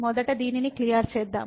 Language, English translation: Telugu, Let me clear this first